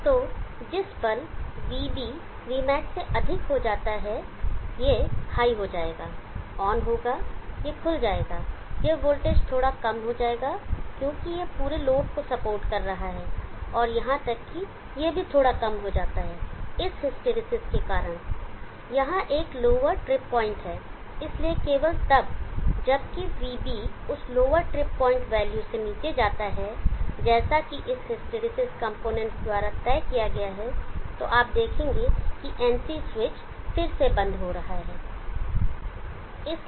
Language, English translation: Hindi, So the moment Vb goes greater then V max this will go high term this will open this voltage goes slightly low because it is supporting the entire load and even that goes slightly low because of this hysteresis there is a lower drip point only that goes one and below only if Vb goes below that lower drip point value as decided by this hysteresis components